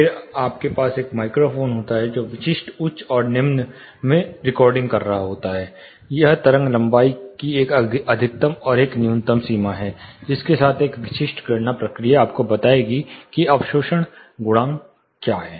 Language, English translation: Hindi, Then you have a microphone where which is recording in the typical high and low; that is a maxima and minima of the wave length with which a specific calculation procedure, will tell you what is absorption coefficient